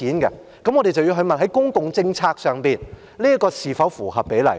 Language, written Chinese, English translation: Cantonese, 我們便要問，在公共政策上，這是否合比例？, Then we have to ask In terms of public policy do they pay proportionately?